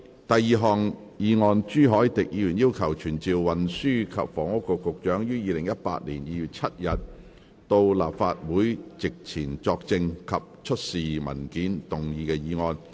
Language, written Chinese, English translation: Cantonese, 第二項議案：朱凱廸議員要求傳召運輸及房屋局局長於2018年2月7日到立法會席前作證及出示文件而動議的議案。, Second motion Motion to be moved by Mr CHU Hoi - dick to summon the Secretary for Transport and Housing to attend before the Council on 7 February 2018 to testify and produce documents